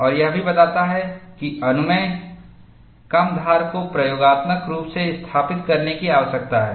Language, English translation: Hindi, And this also states that, permissible bluntness needs to be established experimentally